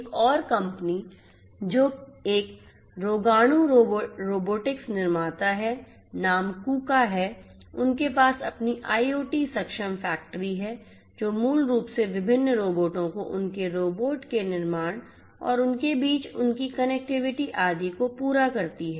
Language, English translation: Hindi, Another company of which is a germen robotics maker name is Kuka, they have their IoT enabled factory which basically caters to you know having different robots their manufacturing of the robots and their connectivity between them etcetera